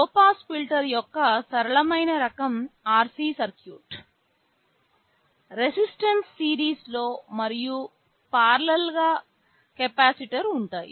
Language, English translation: Telugu, The simplest kind of low pass filter is an RC circuit, a resistance in series and a capacitor in parallel